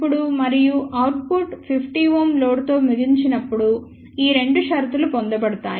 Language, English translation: Telugu, These two conditions will be obtained when input and output are terminated with 50 ohm load